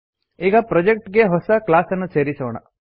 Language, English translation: Kannada, Now let us add a new class to the project